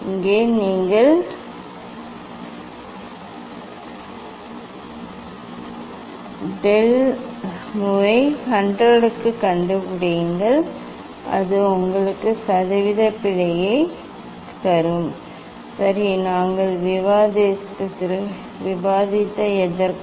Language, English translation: Tamil, put here you find out del mu by mu into 100 that will give you percentage error, ok so for whatever we have discussed